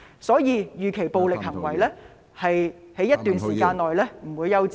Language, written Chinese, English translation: Cantonese, 所以，暴力行為預期在一段時間內不會休止。, Therefore we expect violence to persist over a period of time